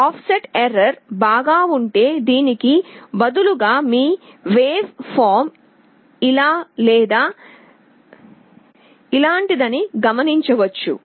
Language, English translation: Telugu, Well offset error means instead of this you may see that your waveform is either like this or like this